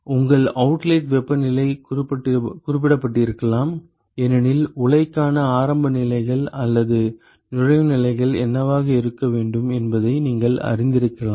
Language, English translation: Tamil, Your outlet temperatures may have been specified, because you may know what should be the initial conditions for the or the inlet conditions for a reactor